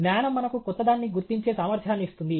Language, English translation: Telugu, Knowledge gives us the ability to recognize what is genuinely new